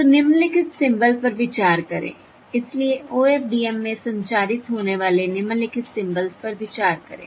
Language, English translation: Hindi, so consider the following symbols to be transmitted in the OFDM symbol